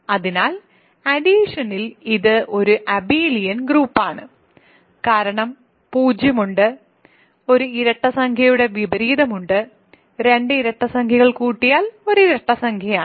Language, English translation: Malayalam, So, there is an addition under addition, it is an abelian group, because 0 is there inverse of an even integer is even integer sum of 2 even integers is an even integer and so on